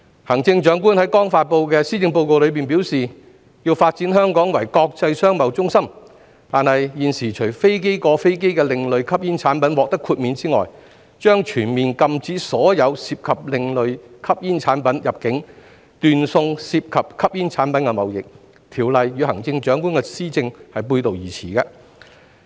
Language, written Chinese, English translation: Cantonese, 行政長官在剛發布的施政報告中表示，要發展香港為國際商貿中心，但現時除飛機過飛機的另類吸煙產品獲得豁免外，將全面禁止所有涉及另類吸煙產品入境，斷送涉及吸煙產品的貿易，《條例草案》與行政長官的施政背道而馳。, The Bill will undoubtedly stifle the business of providing distribution services for alternative smoking products in the market . In her newly released Policy Address the Chief Executive stated the need to develop Hong Kong as an international trade centre but currently a total ban will be imposed to prohibit the entry of all alternative smoking products except for air transhipment cargoes which are granted exemption thus ruining the trade involving smoking products . The Bill runs counter to the Chief Executives administration